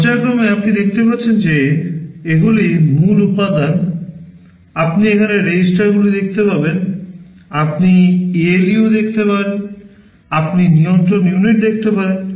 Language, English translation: Bengali, Schematically you can see these are the main components, you can see the registers here, you can see the ALU, you can see the control unit